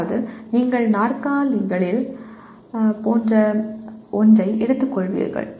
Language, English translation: Tamil, That means you collect a like take something like chairs